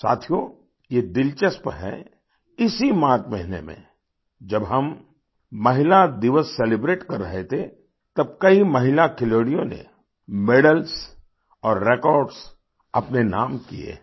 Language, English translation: Hindi, Friends, it is interesting… in the month of March itself, when we were celebrating women's day, many women players secured records and medals in their name